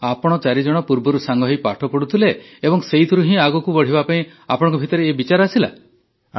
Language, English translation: Odia, And all four used to study together earlier and from that you got an idea to move forward